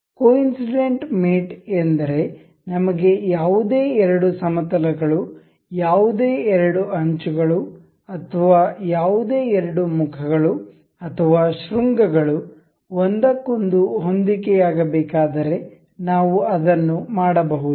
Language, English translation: Kannada, Coincidence mate is if we in case we need any two planes any two edges or any two faces or vertices to be coincide over each other we can do that